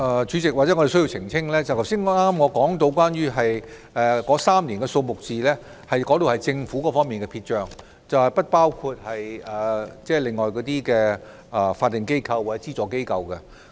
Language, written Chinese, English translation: Cantonese, 主席，或許我需要澄清，我剛才提到的3年數字是政府方面的撇帳，並不包括其他法定機構或資助機構的相關數字。, President perhaps I need to clarify that the three - year figures I mentioned just now are the amounts written off by the Government only which do not include the relevant figures of other statutory bodies or subvented organizations